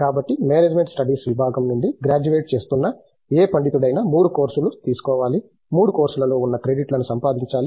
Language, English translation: Telugu, So, any scholar who is graduating from the department of management studies has to take three courses, earn the credits of which there are three courses which are core